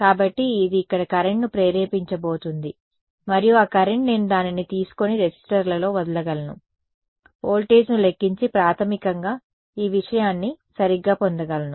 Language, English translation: Telugu, So, this is going to induce a current over here and that current I can take it and drop it across the resistor calculate the voltage and basically get this thing right